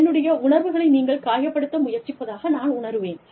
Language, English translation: Tamil, And, I will feel, that you are trying to hurt my feelings